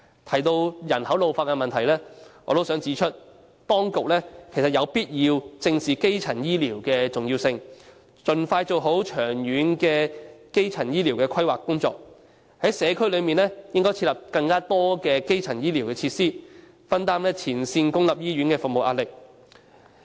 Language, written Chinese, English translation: Cantonese, 關於人口老化的問題，我想指出，當局有必要正視基層醫療的重要性，盡快做好長遠的基層醫療規劃工作，在社區設立更多基層醫療設施，分擔前線公營醫院的服務壓力。, Regarding population ageing I would like to point out that it is essential for the authorities to acknowledge the importance of primary healthcare expeditiously conduct proper long - term primary healthcare planning and set up more primary healthcare facilities in the community to share the pressure on the services of public hospitals in the front line